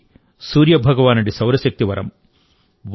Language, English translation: Telugu, This blessing of Sun God is 'Solar Energy'